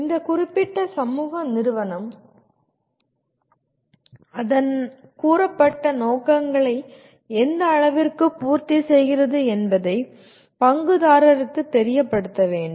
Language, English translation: Tamil, And the stakeholder should be made aware of to what extent this particular social institution is meeting its stated objectives